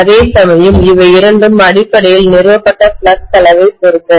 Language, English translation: Tamil, Whereas, both of them essentially depend on the amount of flux established